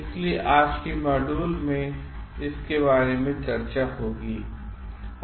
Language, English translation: Hindi, So, today's module we are going to discuss about that